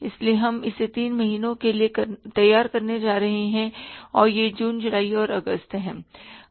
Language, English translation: Hindi, So we are going to prepare it for the three months and this is the June, July and August